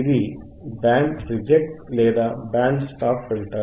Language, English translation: Telugu, This is Band Reject or Band Stop filter